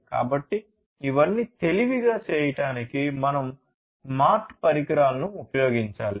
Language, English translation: Telugu, So, for all of these in order to make them smarter, we need to use smart devices, smart devices, right